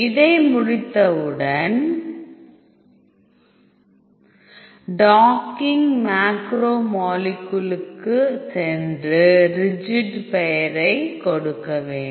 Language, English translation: Tamil, So, once you finish this go to docking macromolecule set rigid name